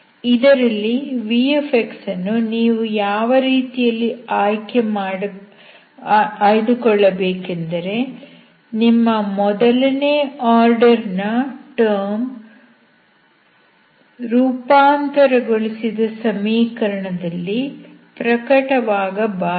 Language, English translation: Kannada, v, out of which you choose v in such a way that your first order term never appears in the transformed equation